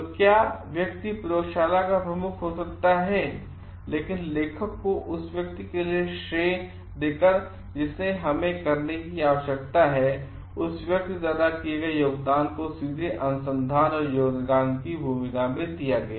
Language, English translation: Hindi, So, what person could be the head of the laboratory, but by crediting the person for authorship we need to understand the contribution made by that person directly into the research and amount of contribution made